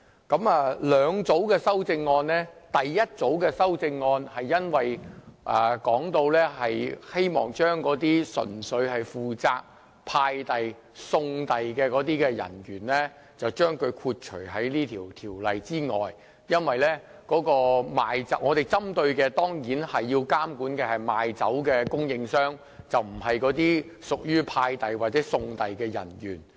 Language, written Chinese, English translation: Cantonese, 這裏有兩組修正案，第一組修正案是希望把純粹負責送遞的人員豁免在《2017年應課稅品條例草案》之外，因為我們針對及監管的對象只是賣酒的供應商，而不是送遞人員。, There are two groups of amendments here . The first group of amendments seeks to exempt the persons purely responsible for delivery from the Dutiable Commodities Amendment Bill 2017 the Bill because our target group of regulation is the suppliers who sell liquor and not the delivery persons